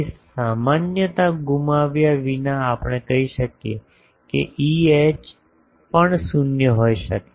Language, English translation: Gujarati, So, without loss of generality we can say E H can be 0 also